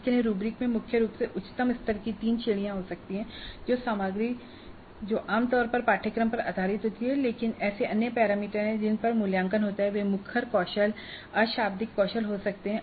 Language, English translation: Hindi, The rubrics for that could contain primarily at the highest level three categories, the content itself which typically is based on the course but there are other things, other parameters on which the evaluation takes place, they can be vocal skills and non verbal skills